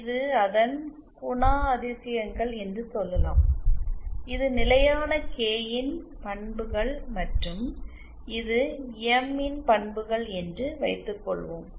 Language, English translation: Tamil, Say this is the characteristics, suppose this is the characteristics of the constant K and this is the characteristics of the m derived